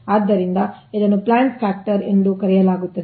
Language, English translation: Kannada, so this is known as plant factor, capacity factor or use factor